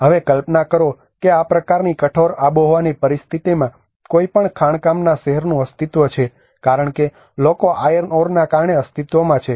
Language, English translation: Gujarati, Now, just imagine any mining town in these kind of harsh climatic situation it exists the people are existed because of the iron ore